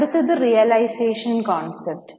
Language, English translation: Malayalam, Next is realization concept